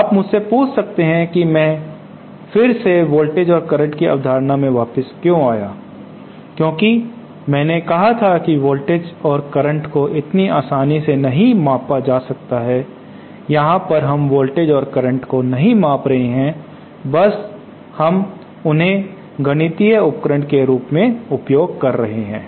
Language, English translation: Hindi, Now you might ask me why again I came back to the concept of voltage and current because I had said that voltage and current cannot be measured so easily, well here we are not measuring voltages and currents we are simply using them as a mathematical tool